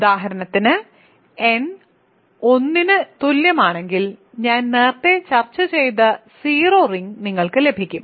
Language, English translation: Malayalam, For example, if n equal to 1 you get the 0 ring that I discussed earlier right